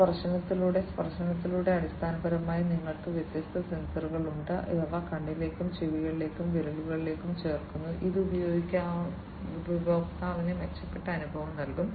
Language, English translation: Malayalam, By touch, through touch, basically, you know, you have different sensors which are added to the eye, to the ears, to the fingers, which can give the user an improved feeling